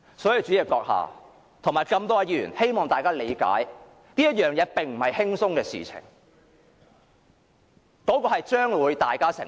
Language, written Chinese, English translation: Cantonese, 所以，主席閣下及各位議員，希望大家理解，這並非輕鬆的事情，結果將會由大家承受。, Hence President and Honourable Members I hope you will understand that this is not an easy question . The consequences will be borne by us